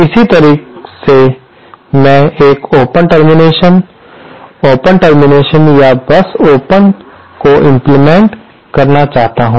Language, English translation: Hindi, Similarly say if I want to implement an open termination, an open termination or simply an open